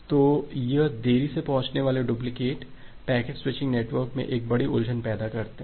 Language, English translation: Hindi, So, this delayed duplicate they create a huge confusion in the packet switching network